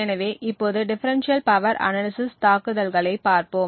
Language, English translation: Tamil, So, now let us look at the differential power analysis attack